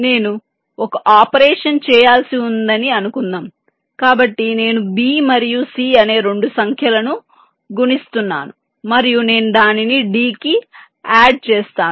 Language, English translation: Telugu, suppose i have a, some operation to do, say so, i am multiplying two numbers, b and c, and i added to d